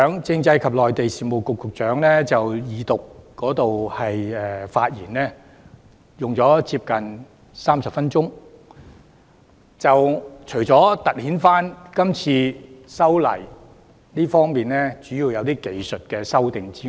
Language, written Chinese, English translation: Cantonese, 政制及內地事務局局長剛才就二讀辯論發言，花了近30分鐘，主要是闡釋這次修例屬技術修訂。, The Secretary for Constitutional and Mainland Affairs spoke for almost 30 minutes in the Second Reading debate just now during which he mainly explained that this legislative amendment exercise involves technical amendments